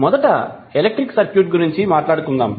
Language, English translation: Telugu, Let us talk about first the electric circuit